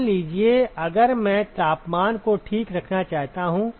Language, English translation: Hindi, Supposing, if I want to maintain the temperatures ok